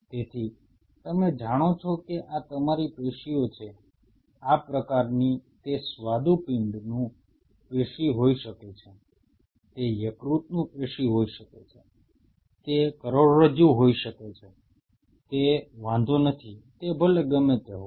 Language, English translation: Gujarati, So, you know this is your tissue has this kind of it may be a pancreatic tissue it could be a liver tissue it could be a spinal cord it does not matter that is irrespective ok